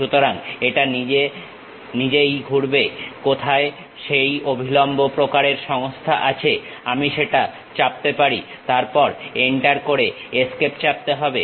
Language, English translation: Bengali, So, it automatically detects where is that perpendicular kind of system I can press that, then Enter, press Escape